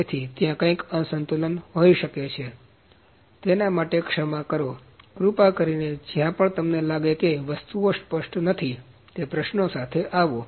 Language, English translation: Gujarati, So, there might be some mismatching, so pardon for that, please come up with the questions wherever you think that things are not clear